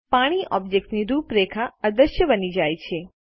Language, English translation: Gujarati, The outline of water object becomes invisible